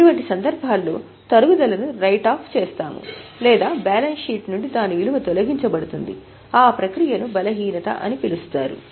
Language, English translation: Telugu, In such cases the depreciation is written off or its value is removed from the balance sheet, that process is called as an impairment